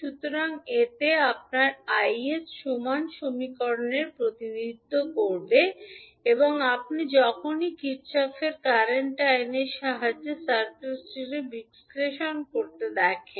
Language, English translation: Bengali, So, in this you can represent equivalently the equation for Is and this you can utilize whenever you see the circuit to be analyzed with the help of Kirchhoff’s current law